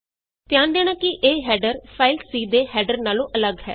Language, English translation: Punjabi, Notice that the header is different from the C file header